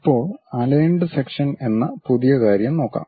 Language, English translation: Malayalam, Now, we will look at a new thing named aligned section